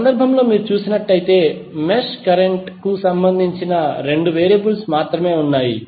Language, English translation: Telugu, While in case of mesh current method, you will have only 2 variables